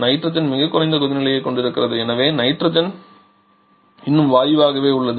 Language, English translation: Tamil, Whereas nitrogen has a much lower boiling point so nitrogen still remains as gas